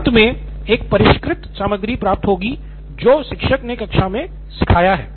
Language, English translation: Hindi, Then finally it comes to one refined content which is what teacher has taught in the class